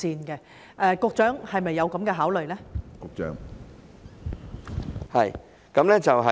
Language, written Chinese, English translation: Cantonese, 局長，是否有這樣的考慮呢？, Secretary has such consideration been given?